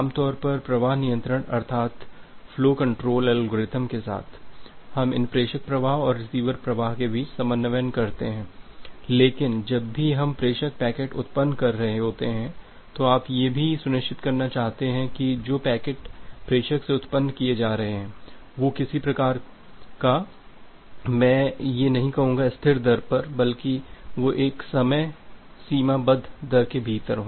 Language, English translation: Hindi, Normally with the flow control algorithm, we coordinate between these sender flow and receiver flow but whenever we are generating the sender packets you also want to ensure that the packets which are being generated from the sender they follow certain kind of I will not say it is a constant rate rather they are in within a bounded rate